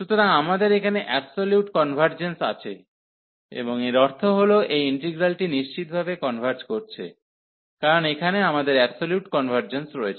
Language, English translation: Bengali, So, we have the absolute convergence here, and this is that means, definitely this integral converges, because we have the absolute convergence